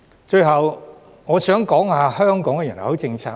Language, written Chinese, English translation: Cantonese, 最後，我想談談香港的人口政策。, Finally I wish to talk about Hong Kongs population policy